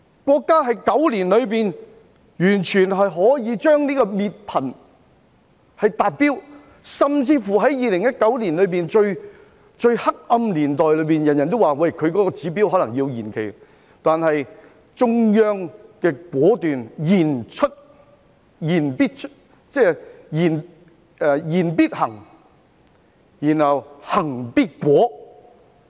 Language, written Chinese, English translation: Cantonese, 國家在9年裏達到滅貧的目標，甚至乎在2019年——最黑暗的時候——人人都以為國家未必可以達標而可能要將目標延期，但中央果斷，言必行，行必果。, The country has achieved its poverty reduction target within nine years even during the darkest period in 2019 when everyone thought that the country might not able to achieve and even need to defer it . However the Central Authorities are decisive put into practice what they say and see to it that results are achieved